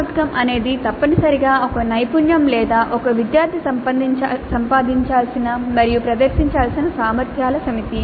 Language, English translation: Telugu, CO is essentially a competency or a set of competencies that a student is supposed to acquire and demonstrate